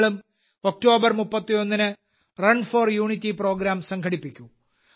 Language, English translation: Malayalam, You too should organize the Run for Unity Programs on the 31st of October